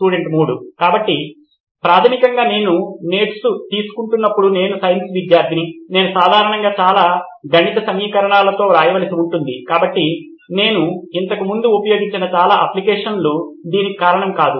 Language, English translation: Telugu, So basically while I am taking notes I’m science student I usually need to write in lot of mathematical equations, so most of the apps which I have used before does not account for that